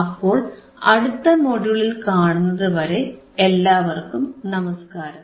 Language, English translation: Malayalam, So, I will see you in the next module, till then take care